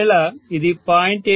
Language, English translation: Telugu, If it had been 0